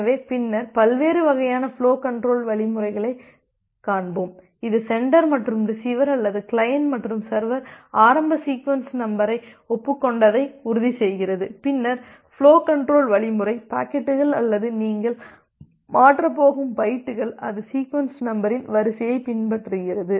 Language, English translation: Tamil, So, later on will see the different types of flow control algorithms, which actually ensures that once the sender and the receiver or the client and the server has agreed upon the initial sequence numbers, then the flow control algorithm ensures that well the packets or the bytes that you are going to transfer, it follows that sequence of the sequence number